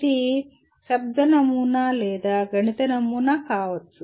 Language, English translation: Telugu, It could be a verbal model or a mathematical model